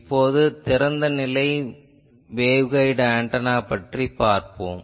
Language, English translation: Tamil, Now, we will see an Open Ended Waveguide Antenna